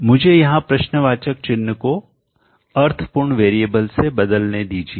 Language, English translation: Hindi, Let me replace the question marks by meaningful variables